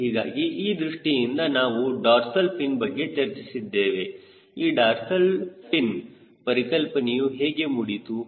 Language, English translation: Kannada, so in that direction, we will discuss something about dorsal fin, how these dorsal fin concept came we were talking about